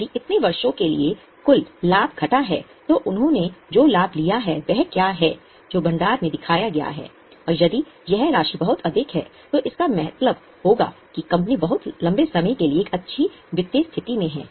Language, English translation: Hindi, If the total profit for so many years minus what profit they have taken away is what is shown in the reserves and if that amount is very high, it will mean that company is having a good financial position for a pretty long time